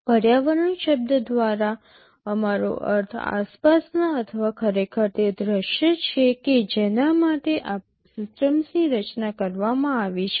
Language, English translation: Gujarati, By the term environment we mean the surroundings or actually the scenario for which the system was designed